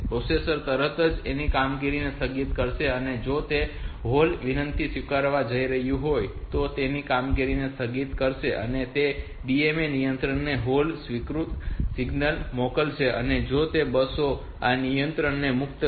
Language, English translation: Gujarati, The processor will immediately suspend it is operation if it is going to accept that hold request so it will suspend it operations it will send the hold acknowledge signal to the DMA controller and it will release the control of these buses